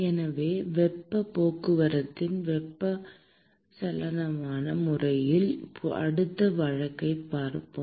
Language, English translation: Tamil, So, let us look at the next case of convection mode of heat transport